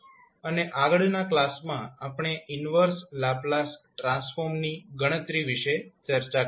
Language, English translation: Gujarati, And the next class we will discuss about the calculation of inverse Laplace transform thank you